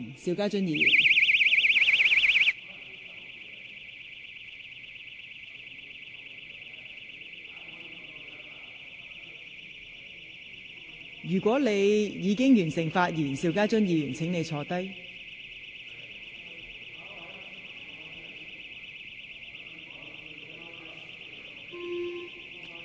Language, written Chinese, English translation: Cantonese, 邵家臻議員，如果你已發言完畢，請坐下。, Mr SHIU Ka - chun if you have finished your speech please sit down